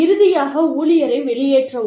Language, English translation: Tamil, And then, finally, discharge the employee